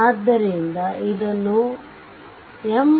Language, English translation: Kannada, So, it was developed by M